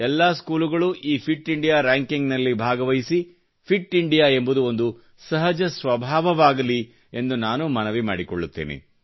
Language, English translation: Kannada, I appeal that all schools should enroll in the Fit India ranking system and Fit India should become innate to our temperament